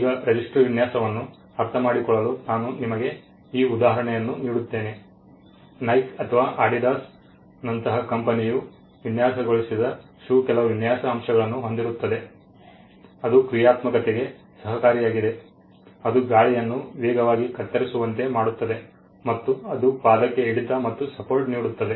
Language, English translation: Kannada, Now to understand a register design I will give you this example, a shoe that is designed by a company like Nike or Adidas will have certain design elements which also contribute to the functionality, it makes it cut the air faster it grows it grip it gives certain support in certain parts of the foot, so those design elements have also a functional component